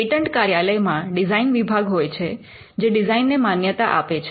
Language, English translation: Gujarati, The patent office has a design wing, which grants the design